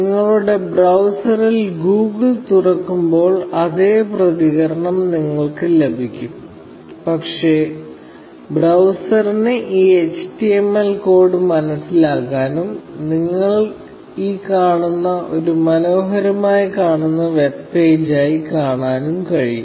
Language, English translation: Malayalam, You get the same response when you open Google in your browser; but, the browser is capable of understanding this HTML code, and showing it as a pretty looking web page that you see, OK